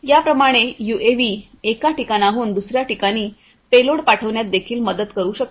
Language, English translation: Marathi, Like this the UAVs can also help in sending payloads from one point to another